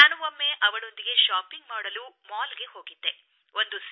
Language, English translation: Kannada, I went for shopping with her at a mall